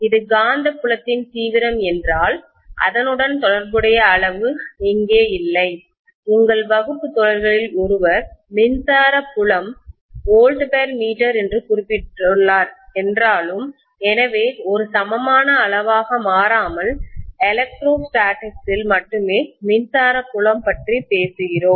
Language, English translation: Tamil, If I am looking at magnetic fiel d intensity whereas here, there is no corresponding quantity, although one of your classmates mentioned that electric field is volts per metre, so we should be able to say that as an equivalent quantity, invariably, we talk about electric field only in electrostatics